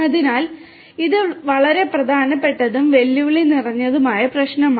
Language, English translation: Malayalam, And this is a very important and a challenging problem